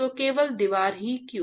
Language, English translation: Hindi, So, that is the; why only wall